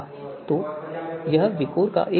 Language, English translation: Hindi, So this is one aspect of VIKOR